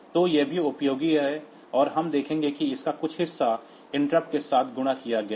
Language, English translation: Hindi, So, this is also useful and we will see that some part of it is multiplexed with interrupts